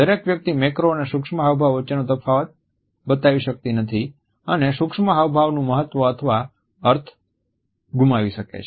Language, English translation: Gujarati, Not everybody can make out the difference between a macro and micro expression and can lose the significance or the meaning of micro expressions